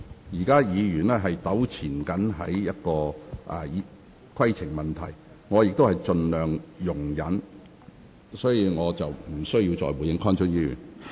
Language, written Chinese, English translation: Cantonese, 現在議員糾纏於規程問題上，我也盡量容忍，但我不會對此再作回應。, I have tried to be as tolerant as possible when Members kept raising points of order but I am not going to respond anymore